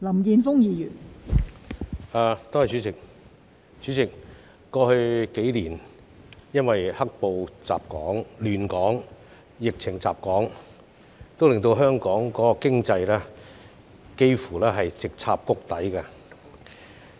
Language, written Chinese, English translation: Cantonese, 代理主席，過去數年，"黑暴"亂港及疫情襲港令本港經濟幾乎直插谷底。, Deputy President owing to the black - clad violence and the epidemic that haunted Hong Kong in the last couple of years Hong Kongs economy has almost hit rock bottom